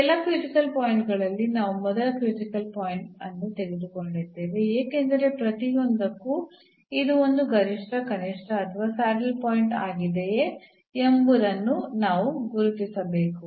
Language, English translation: Kannada, 00, this we have taken the first critical point among all these critical because, for each we have to identify whether it is a point of a maximum, minimum or a saddle point